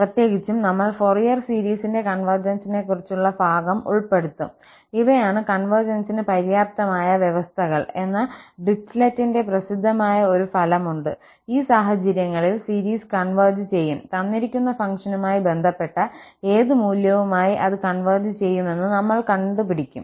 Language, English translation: Malayalam, In particular, we will be covering the portion on convergence of the Fourier series and there is a famous result by the Dirichlet that these are the sufficient conditions for the convergence, under these conditions the series will converge and we will see that it will converge to what value related to the given function